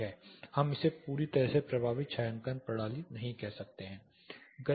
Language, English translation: Hindi, We may not be able to call it a completely effective shading system